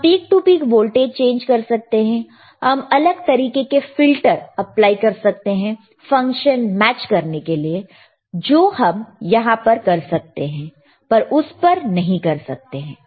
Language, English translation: Hindi, wWe can change the peak to peak voltage, you can you can apply different filters to aid, even to match function, which you can we here but not you cannot do here